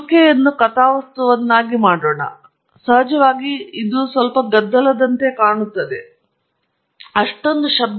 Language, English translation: Kannada, So, it looks pretty similar to what we we wanted; of course, it looks a bit noisy, not so noisy